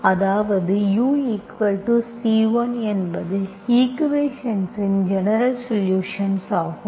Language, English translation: Tamil, That means u is equal to constant is by general solution of the equation